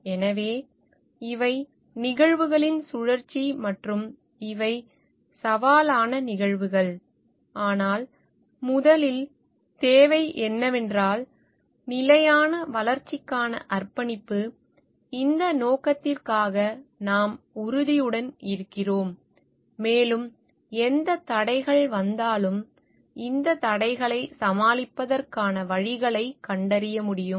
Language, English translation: Tamil, So, these is a cycle of events and these are challenging events, but first what is required is the commitment to sustainable development that we are committed for this purpose and whatever hurdles come we are above should be able to find out ways to overcome this hurdles